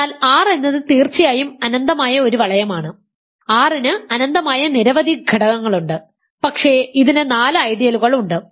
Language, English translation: Malayalam, So, R is an infinite ring of course, R has infinitely many elements, but it has four ideals